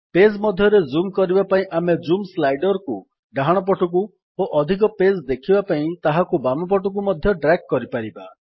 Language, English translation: Odia, We can also drag the Zoom slider to the right to zoom into a page or to the left to show more pages